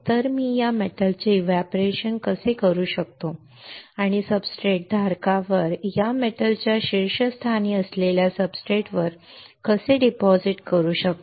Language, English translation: Marathi, So, how can I evaporate this metal and deposit on the substrate which is on the top of this metal on the substrate holder